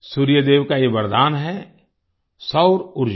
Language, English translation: Hindi, This blessing of Sun God is 'Solar Energy'